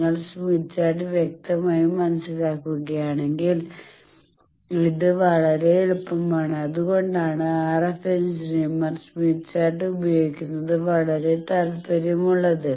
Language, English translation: Malayalam, If you understand smith chart clearly this is very easy, that is why RF engineers are very passionate about using smith chart